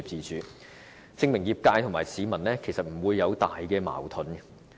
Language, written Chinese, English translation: Cantonese, 這些調查結果證明，業界和市民之間並沒有重大矛盾。, These results prove that there is no major clash between the medical sector and the people